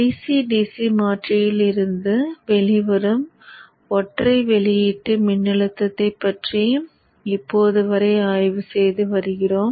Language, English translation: Tamil, Till now we have been studying a single output voltage coming out of the DCDC converter